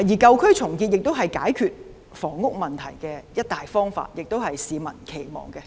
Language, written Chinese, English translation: Cantonese, 舊區重建亦是解決房屋問題的一大方法，亦是市民所期望的。, Redevelopment of old districts is also a major solution to the housing problem and this is also an aspiration of the public